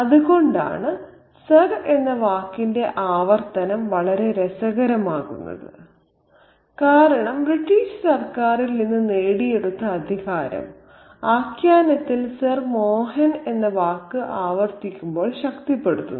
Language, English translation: Malayalam, So, that's why the repetition of the word sir is very, very interesting because that authority is constantly reinforced, the authority that he has gained from the British government is reinforced when that word Sir Mohan is repeated in the narrative